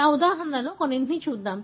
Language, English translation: Telugu, So, let us look into some of those examples